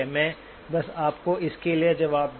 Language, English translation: Hindi, Let me just give you the answer for that as well